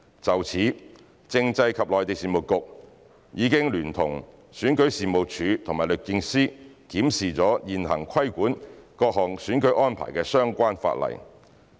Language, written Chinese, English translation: Cantonese, 就此，政制及內地事務局已聯同選舉事務處和律政司檢視了現行規管各項選舉安排的相關法例。, In this connection the Constitutional and Mainland Affairs Bureau has in collaboration with the Registration and Electoral Office and the Department of Justice reviewed the existing legislation on the regulation of various electoral arrangements